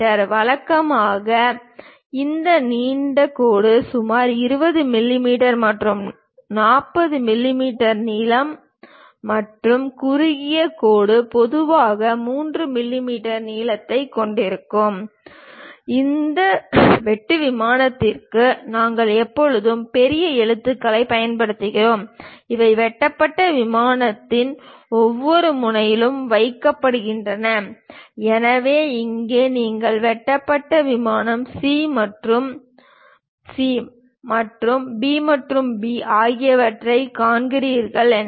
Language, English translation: Tamil, Usually this long dash will have around 20 mm to 40 mm in length and short dash usually have a length of 3 mm; and for this cut plane, we always use capital letters and these are placed at each end of the cut plane; so, here if you are seeing cut plane C and C and B and B